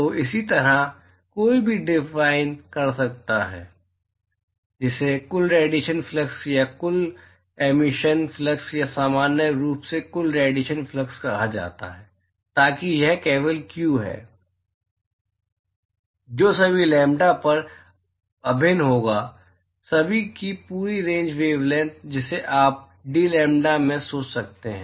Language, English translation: Hindi, So, similarly one could define, what is called the total radiation flux or Total emission flux, Total emission flux or total radiation flux in general, so that, that is simply q, which will be integral over all lambda, all the whole range of the wavelengths, that you one can think off into dlambda